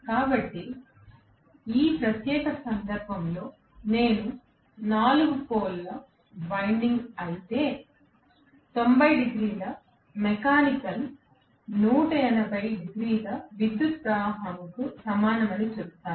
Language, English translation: Telugu, So, this is the 4 pole windings, so if it is a 4 pole winding, I would say 90 degrees of mechanical is equivalent to 180 degrees of electrical